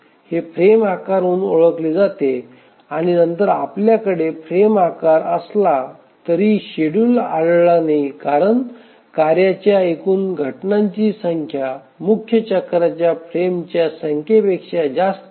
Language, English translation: Marathi, So, this we call as plausible frame sizes and then even if we have a plausible frame size, it is not the case that schedule may be found, maybe because we have the total number of job instances to be handled is more than the number of frames in a major cycle